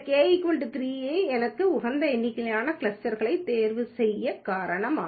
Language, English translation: Tamil, That's the reason why I can choose this k is equal to 3 as my optimal number of clusters